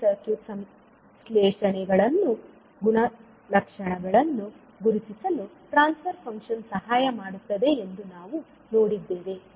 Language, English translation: Kannada, And we also said that the transfer function will help in identifying the various circuit syntheses, properties